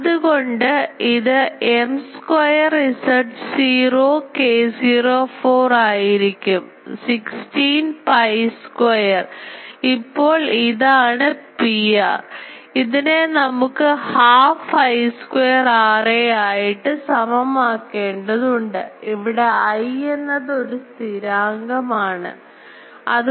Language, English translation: Malayalam, So, this will be M square Z naught k naught 4; 16 pi square ; now this P r; we need to equate to half I square R a here I is constant